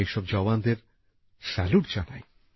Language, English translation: Bengali, I salute all these jawans